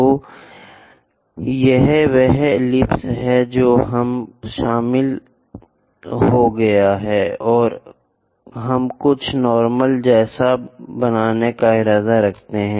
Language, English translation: Hindi, So, this is the ellipse which we have joined, and our intention is to construct something like normal to that